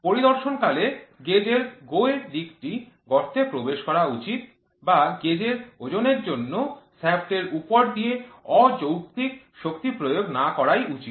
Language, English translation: Bengali, During inspection the GO side of the gauge should enter the hole or just pass over the shaft under the weight of the gauge, without using undue force